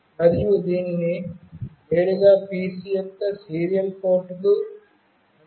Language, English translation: Telugu, And it can be directly interfaced to the serial port of the PC